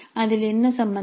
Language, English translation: Tamil, What is involved in that